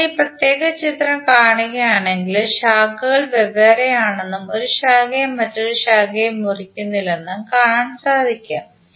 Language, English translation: Malayalam, So it means that if you see this particular figure, the branches are separate and no any branch is cutting any other branch